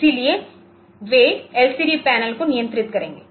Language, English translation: Hindi, So, they will be controlling the LCD panel